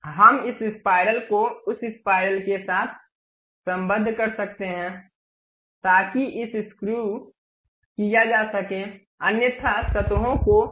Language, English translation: Hindi, We can mate this spiral with that spiral, so that it can be screwed otherwise surfaces are also we can really mate it